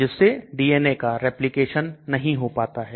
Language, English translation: Hindi, So the DNA does not get replicated